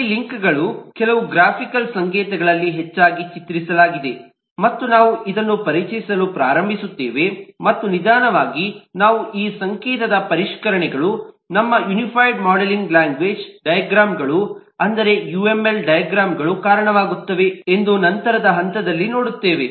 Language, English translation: Kannada, in this, links are more often depicted in some graphical notation and we will start introducing this and slowly we will see at a later point that refinement of this notation will result in to our unified modeling language diagrams, the uml diagrams